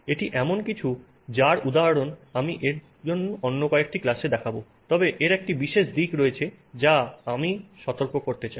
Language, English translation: Bengali, This is something that I will show some examples of in another class but there is a particular aspect of it that I want to alert you to